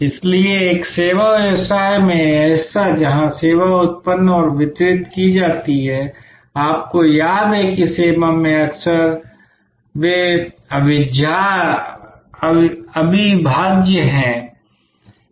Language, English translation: Hindi, So, in a service business this part, where the service is generated and delivered and you recall that in service, often they are inseparable